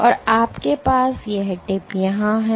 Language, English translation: Hindi, And you have this tip here ok